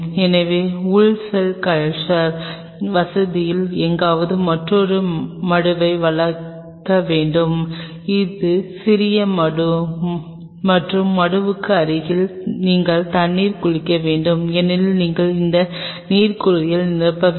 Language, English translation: Tamil, So, you needed to curve out another sink somewhere out here in the inner cell culture facility, a small sink and adjacent to the sink you have to have a water bath because you have to fill this water bath